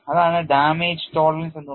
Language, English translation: Malayalam, What is the approach of damage tolerance